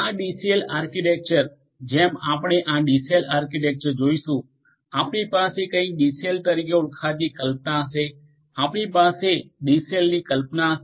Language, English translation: Gujarati, This DCell architecture in this DCell architecture as we will see in this DCell architecture we will have the concept of something known as the DCell we will have the concept of the DCell